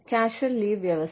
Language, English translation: Malayalam, Provision of casual leave